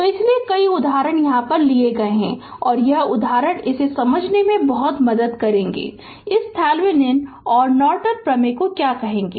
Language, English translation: Hindi, So, that is why several examples I have taken and this examples will help you a lot to understand this your, what you call this Thevenin’s and Norton theorem